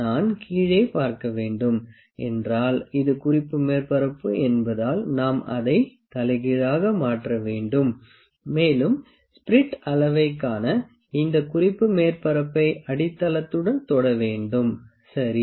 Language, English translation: Tamil, If I need to see at the bottom side because this is the reference surface, we have to turn it upside down, and this reference surface has to be touched with the base to see the spirit level, ok